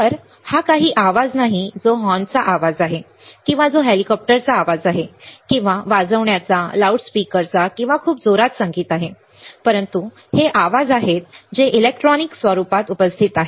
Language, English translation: Marathi, So, this is not some noise which is horn noise or which is a chopper noise or which is some honking right or which is some loudspeaker or very loud music, but these are the noises which are present in the electronic form